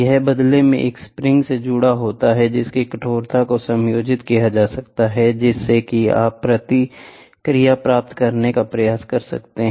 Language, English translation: Hindi, This, in turn, is attached to a spring which can be the stiffness can be adjusted, such that you can try to get the response